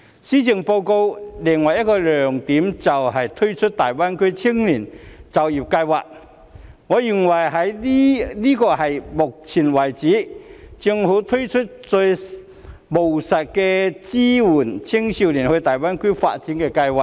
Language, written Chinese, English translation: Cantonese, 施政報告的另一個亮點就是推出大灣區青年就業計劃，我認為這是到目前為止，政府推出最務實的一項支援青少年到大灣區發展的計劃。, Another highlight of the Policy Address is the launch of the Greater Bay Area GBA Youth Employment Scheme . I find it the most pragmatic scheme ever introduced by the Government to support youth development in GBA